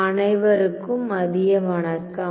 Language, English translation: Tamil, 1 Good afternoon everyone